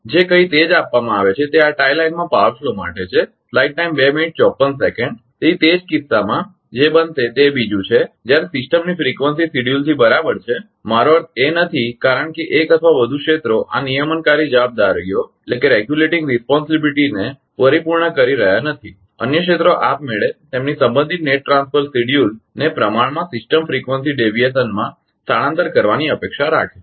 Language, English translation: Gujarati, So, in that case what will happen that second one is when system frequency off schedule right I mean it is not because one or more areas are not fulfilling this regulating responsibilities other areas are expected automatically to shift their respective net transfer schedule proportionally to the system frequency deviation